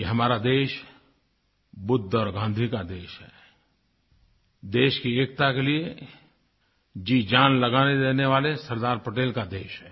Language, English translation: Hindi, Ours is the country of Buddha and Gandhi, it is the land of Sardar Patel who gave up his all for the unity of the nation